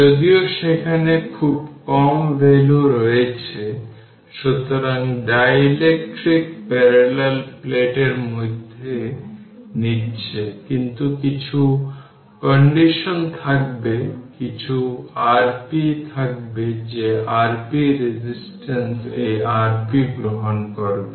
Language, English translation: Bengali, So, you are because dielectric we are taking in between the parallel plates, but some conduction will be there because of that some R p will be there right that R p resistance we take right this R p